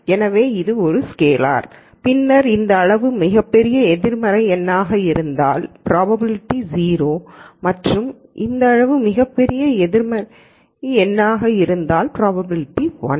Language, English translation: Tamil, So, this is a scalar and then we saw that if this quantity is a very large negative number, then the probability is 0 and if this quantity is a very large positive number the probability is 1